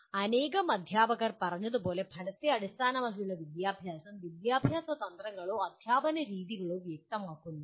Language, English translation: Malayalam, Outcome based education as thought are stated by several teachers does not specify education strategies or teaching methods